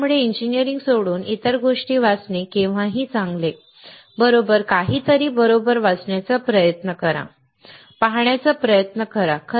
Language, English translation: Marathi, So, it is always good to read other things apart from engineering, right, try to read something right, try to watch